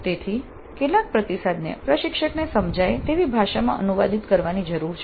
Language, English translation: Gujarati, So some feedback has to be translated into a language that makes sense to the instructor